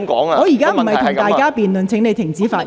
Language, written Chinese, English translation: Cantonese, 我現在不會與議員辯論，請你停止發言。, I am not going to debate with Members . Please stop speaking